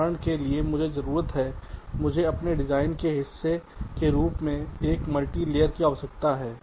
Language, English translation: Hindi, for example, i need lets say, i need a multiplier as part of my design